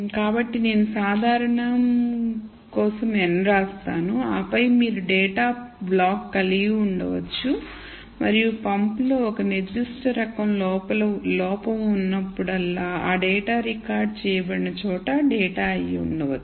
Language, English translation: Telugu, So, I write n for normal and then you could have a block of data and that data might have been the data that is recorded whenever there is a particular type of fault in the pump let me call this fault f one